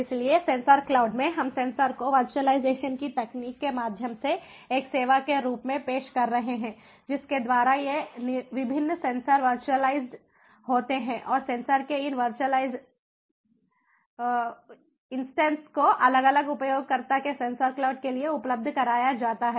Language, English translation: Hindi, so in sensor cloud, we are offering sensors as a service through the technology of virtualization, by which these different sensors are virtualized, and these virtual, visualized instances of the sensors are made available to the different users, to the different users of sensor cloud